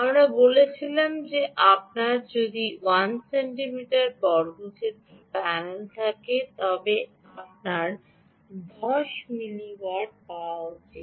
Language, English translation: Bengali, we said that if you have one centimeter square panel, you should get ah, ten milliwatts